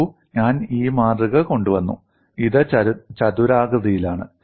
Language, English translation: Malayalam, See, I have brought this specimen; this is rectangular; I can also twist it